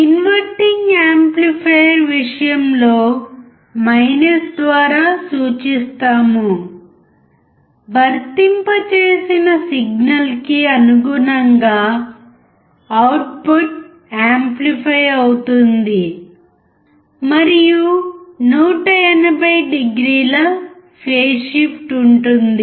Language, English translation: Telugu, In the case of inverting amplifier (represented by “ “), for the applied signal, output is amplified and is 180o out of phase